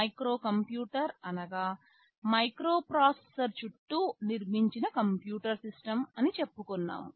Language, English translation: Telugu, A microcomputer we have said, it is a computer system built around a microprocessor